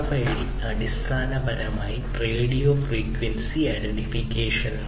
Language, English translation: Malayalam, So, RFID stands basically for radio frequency identification